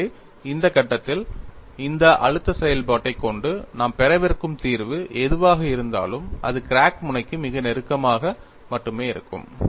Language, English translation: Tamil, So, at this stage, whatever the solution we are going to get with this, stress function would be valid only very close to the crack tip